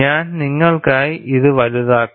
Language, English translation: Malayalam, I will magnify it for you